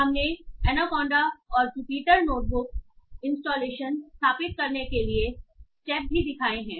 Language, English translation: Hindi, We have also shown steps to install Anaconda and Jupiter notebook installations